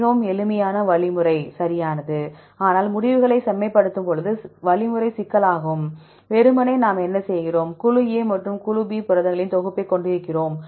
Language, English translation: Tamil, Since, a very simple algorithm right, but you can complicate the algorithm when you refine the results; simply what we do, we have the set of proteins from group A and group B